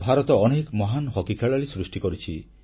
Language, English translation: Odia, India has produced many great hockey players